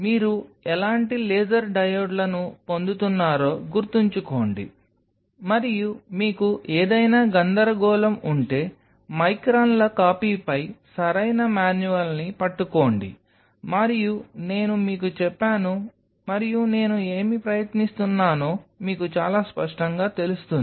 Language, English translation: Telugu, So, keep in mind what kind of laser diodes your getting and if you have any confusion grab proper manual on microns copy read through them, and all those very nut shell what I have told you will be very clear to you what I am trying to tell you